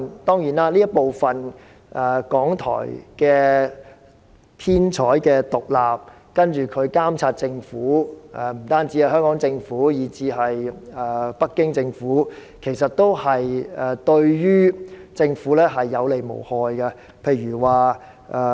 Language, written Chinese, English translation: Cantonese, 當然，港台編採獨立，還會監察政府，且不僅監察香港政府，也監察北京政府，這對政府也是有利而無害的。, Certainly RTHK enjoys editorial independence and oversees the Government . Indeed it does not merely oversee the Hong Kong Government but also the Beijing Government and it does all good and no harm to the Government